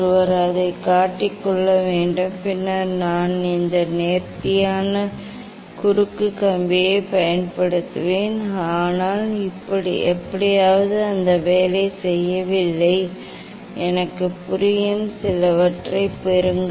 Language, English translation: Tamil, One should clamp it and then I will use this fine cross wire, but somehow it is not working, get some I understand